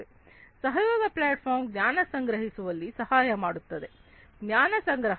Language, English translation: Kannada, This collaboration platform will help in collecting knowledge, collecting knowledge